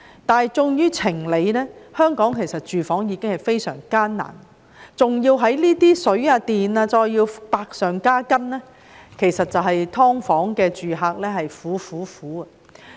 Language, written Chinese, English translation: Cantonese, 但是，出於情理，香港的居住問題已經非常嚴峻，還要在水、電費百上加斤，"劏房"住客簡直是"苦、苦、苦"。, However from the perspective of human feelings and reasoning against the background of an appalling housing problem in Hong Kong the additional burden of excessive water and electricity charges on the tenants of subdivided units has made them even more miserable